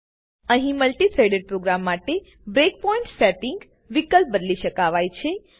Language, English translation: Gujarati, Here you can change settings for multi threaded program breakpoint options